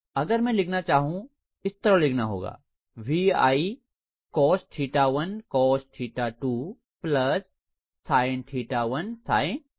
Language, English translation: Hindi, So if I have to write this, I have to write this as VI cos of theta 1 cos theta 2 plus sin theta 1 sin theta 2, right